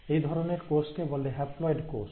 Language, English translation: Bengali, So such a cell is called as a haploid cell